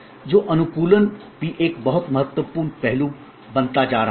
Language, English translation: Hindi, So, customization also is becoming a very important aspect